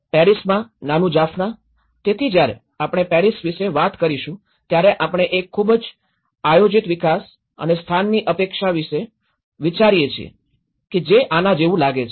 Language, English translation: Gujarati, The little Jaffna in Paris, so the moment we talk about the Paris, we think of a very planned development and our expectation of a place identity if it looks like this